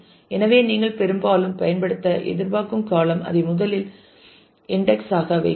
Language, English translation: Tamil, So, the column that you expected to be used most often put that as the first index